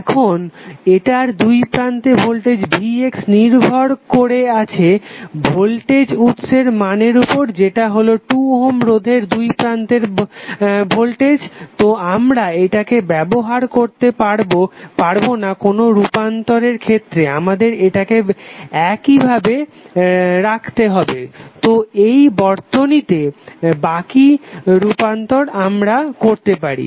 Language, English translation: Bengali, Now, Vx the voltage across this is depending upon the voltage source value is depending upon the voltage across 2 ohm resistance so, we cannot use this for any transformation we have to keep it like, this in the circuit, and rest of the transformations we can do